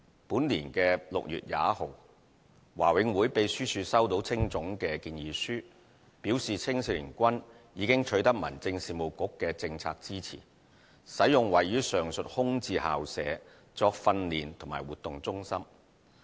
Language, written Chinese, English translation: Cantonese, 本年6月21日，華永會秘書處收到青總的建議書，表示青總已取得民政事務局的政策支持，使用位於上述空置校舍作訓練及活動中心。, On 21 June 2016 BMCPCs secretariat received HKACAs proposal which indicates that it has obtained the Home Affairs Bureaus policy support to use the premises as their training and activity centre